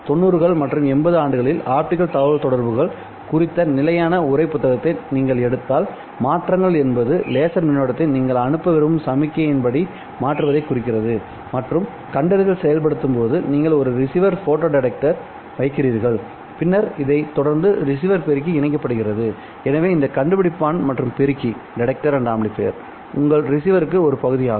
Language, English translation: Tamil, If you take a standard textbook on optical communications which was published in the year 90s or 80s, you would see that modulation simply meant changing the laser current according to the signal that you want to send and detections simply meant you put a receiver, photo detector and then follow it up by the receiver amplifier